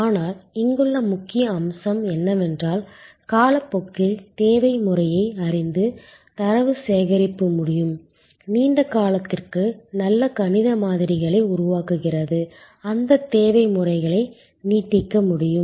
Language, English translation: Tamil, But, the key point here is that could data collection knowing the demand pattern over time, what a long period of time creating good mathematical models that to what extend those demand patterns can be adjusted